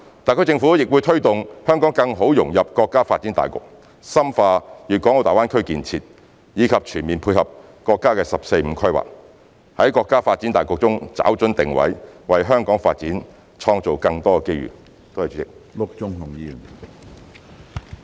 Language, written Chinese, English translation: Cantonese, 特區政府亦會推動香港更好融入國家發展大局，深化粵港澳大灣區建設，以及全面配合國家的"十四五"規劃，在國家發展大局中找準定位，為香港發展創造更多機遇。, The HKSAR Government will also promote the better integration of Hong Kong into national development by deepening the Guangdong - Hong Kong - Macao Greater Bay Area development and fully participate in the National 14th Five - Year Plan so as to accurately position Hong Kong in national development and create more opportunities for the city